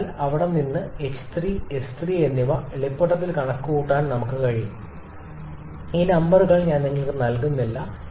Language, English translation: Malayalam, So, from there we can easily calculate h 3 and S 3, I shall not be putting the numbers I am leaving it to up to you